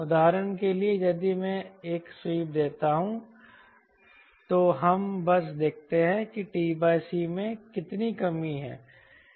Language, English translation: Hindi, for example, if i give a sweep, we simply see how much t by c reduction is there